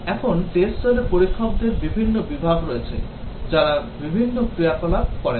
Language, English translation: Bengali, Now, in the test team, there are various categories of testers, who do different activities